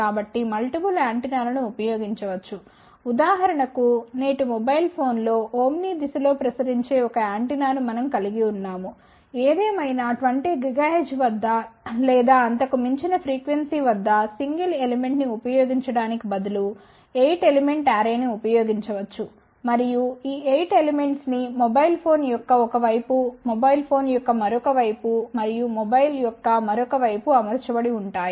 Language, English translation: Telugu, So, multiple antennas can be used for example, in todays mobile phone we can have just one antenna which will be radiating in the Omni direction ; however, at 20 gigahertz or beyond 1 can use even 8 element array instead of just using a single element and these 8 elements will be let say mounted on 1 side of the mobile phone, another side of the mobile phone and another side of the mobile phone